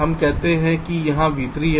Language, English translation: Hindi, lets say here is v three, lets say here is v four